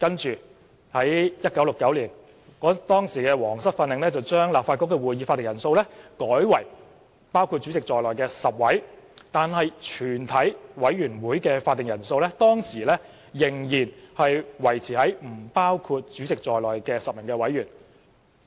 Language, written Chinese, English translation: Cantonese, 其後 ，1969 年的《皇室訓令》將立法局的會議法定人數改為包括主席在內的10位議員，但全委會的會議法定人數仍維持於不包括主席在內的10位委員。, Later the Royal Instructions in 1969 changed the quorum of the meeting of the Legislative Council to 10 Members including the President but the quorum of a committee of the whole Council remained at 10 members excluding the Chairman